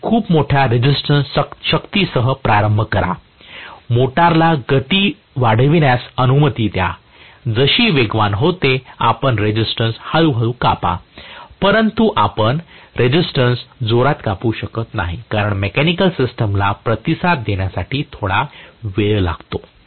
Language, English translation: Marathi, You start off with very large resistance, allow the motor to accelerate, as it accelerates, you cut off the resistance slowly but you cannot cut off the resistance really fast because it takes some time for the mechanical system to respond